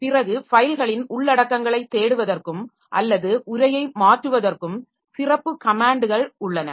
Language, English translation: Tamil, Then there are special commands to search contents of files and or perform transformation of the text